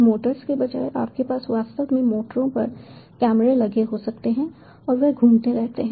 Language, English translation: Hindi, you can have actually cameras mounted on the motors and they keep on rotating